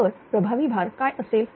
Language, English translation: Marathi, Then what will be the effective load here